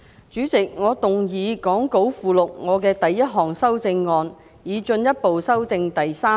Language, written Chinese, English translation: Cantonese, 主席，我動議講稿附錄我的第一項修正案，以進一步修正第3條。, Chairman I move my first amendment to further amend clause 3 as set out in the Appendix to the Script